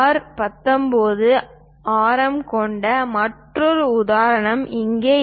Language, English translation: Tamil, Here another example we have again radius R19